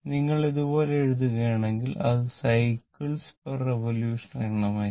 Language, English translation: Malayalam, I mean if you write like this, it is number of cycles per revolution